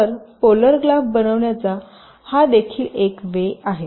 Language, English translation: Marathi, ok, so this is also one way to construct the polar graph now